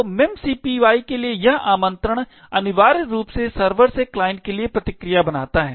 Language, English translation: Hindi, So, this invocation to memcpy essentially creates the response from the server back to the client